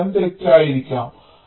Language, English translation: Malayalam, so the answer might be wrong